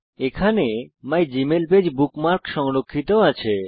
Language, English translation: Bengali, The mygmailpage bookmark is saved there